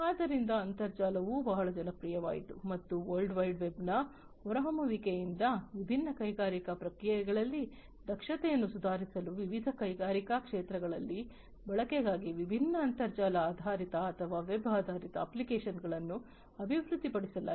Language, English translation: Kannada, So, that is why the internet also became very popular and also with the emergence of the World Wide Web, different, you know, internet based or web based applications have been developed for use in the different industrial sectors to improve the efficiency of the different industrial processes